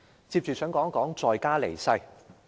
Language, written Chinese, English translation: Cantonese, 接着我想談談在家離世。, Next I would like to speak on dying in place